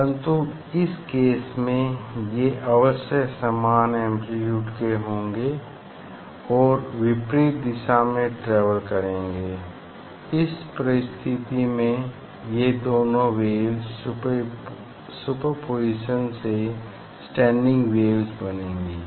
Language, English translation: Hindi, but in this case, strictly it should be equal amplitude should be equal and it will travel in opposite direction in that case due to the superposition of these two waves this type of two waves will form the standing waves